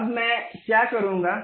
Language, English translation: Hindi, Now, what I will do